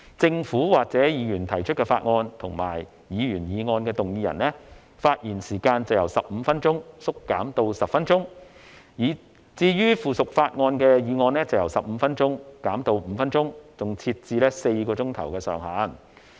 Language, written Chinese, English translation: Cantonese, 政府或議員提出法案及議員議案的動議人，發言時間由15分鐘縮減至10分鐘，至於附屬法例的議案則由15分鐘減至5分鐘，更設置4小時上限。, The speaking time of the mover of a Government or Members bill and a Members motion is reduced from 15 minutes to 10 minutes and that of a motion on subsidiary legislation is reduced from 15 minutes to 5 minutes with a cap of four hours on the duration of the debate